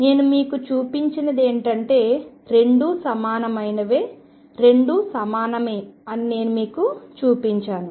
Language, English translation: Telugu, And what I have shown you is that both are equivalent both are equivalent